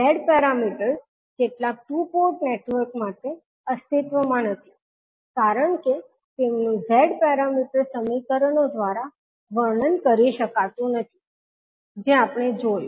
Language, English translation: Gujarati, The Z parameters does not exist for some of the two port networks because they cannot be described by the Z parameter equations which we saw